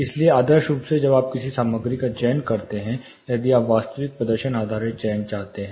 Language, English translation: Hindi, So, ideally when you select a material, if you want a real performance based selection